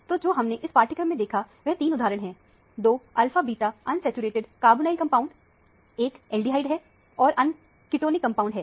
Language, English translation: Hindi, So, what we have seen in this module is three examples: two alpha beta unsaturated carbonyl compound; one is the aldehyde; the other is a ketonic compound